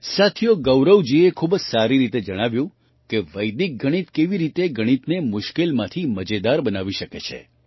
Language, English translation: Gujarati, Friends, Gaurav ji has very well explained how Vedic maths can transform mathematicsfrom complex to fun